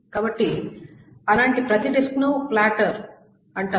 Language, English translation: Telugu, So each such disk is called a platter